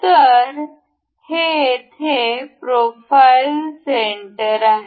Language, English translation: Marathi, So, this here is profile center